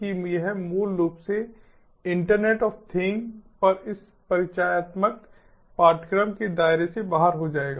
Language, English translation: Hindi, that will be basically, you know, out of the scope of this introductory course on internet of things